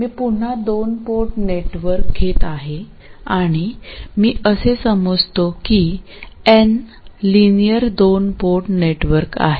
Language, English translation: Marathi, So let me again take a two port network and let me assume that N is a linear two port network